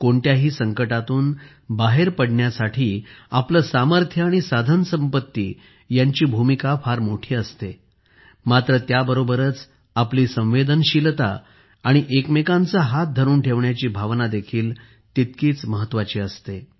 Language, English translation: Marathi, Our capabilities and resources play a big role in dealing with any disaster but at the same time, our sensitivity and the spirit of handholding is equally important